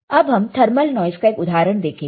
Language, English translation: Hindi, So, this is an example of thermal noise